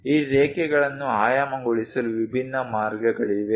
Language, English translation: Kannada, There are different ways of dimensioning these lines